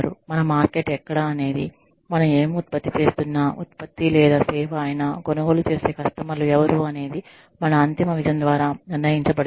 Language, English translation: Telugu, Our market will be decided, the customers who buy, whatever we are producing, either product or service, will be decided by, our ultimate vision